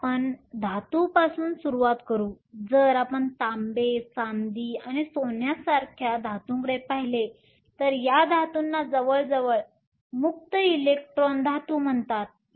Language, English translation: Marathi, So, we will start with metals; if we look at metals like copper, silver and gold, so these metals are called nearly free electron metals